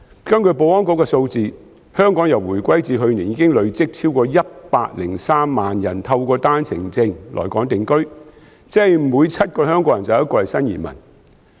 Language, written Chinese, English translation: Cantonese, 根據保安局的數字，香港由回歸至去年已累積超過103萬人透過單程證來港定居，即每7個香港人便有1個是新移民。, According to the figures of the Security Bureau since the reunification and up to last year a cumulative total of more than 1 030 000 people have come to settle in Hong Kong on One - way Permits OWP . In other words one out of every seven Hong Kong people is a new immigrant